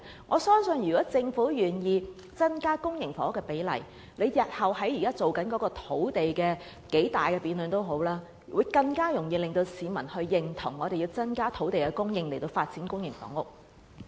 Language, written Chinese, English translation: Cantonese, 我相信政府若願意增加公營房屋的供應比例，日後無論要進行多麼大型的土地供應辯論，均可讓市民更加認同有需要增加土地供應以發展公營房屋。, I am sure if the Government is willing to raise the proportion of public housing in its housing supply target no matter what sort of grand debate it would like to launch on land supply in the future members of the public would only agree more with the Government that there is indeed a need to increase land supply for the development of public housing